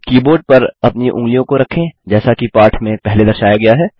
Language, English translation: Hindi, Place your fingers on the keyboard as indicated earlier in the lesson